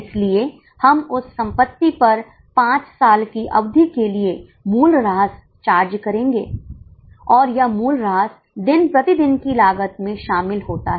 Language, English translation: Hindi, So, we will charge depreciation on that asset for five years period and that depreciation is included on day to day cost